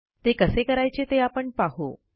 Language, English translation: Marathi, Now let us see how to do so